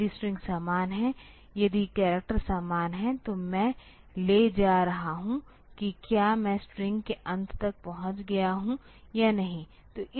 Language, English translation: Hindi, If the strings are same, if the characters are same then I am taking whether I have reached the end of the string or not